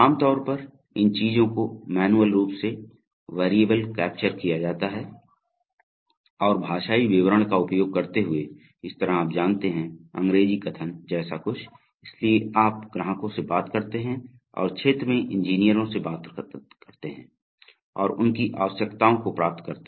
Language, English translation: Hindi, Generally these things are captured manually and using a linguistic description, something like, you know something like English statement, so you talk to customers and talk to engineers on the field and get their requirements